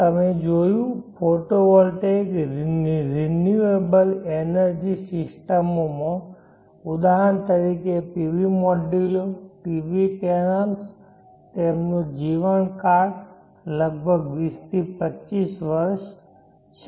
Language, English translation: Gujarati, You see in a photo world types in the systems take for example the PV modules the PV panels, they have the lifetime for around 20 to 25 years